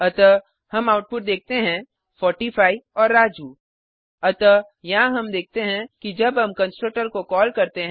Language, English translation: Hindi, Save the program and Run So we see the output 45 and Raju So here we see that when we call the constructor